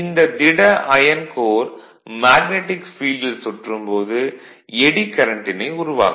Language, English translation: Tamil, The rotation of a solid iron core in the magnetic field results in eddy current right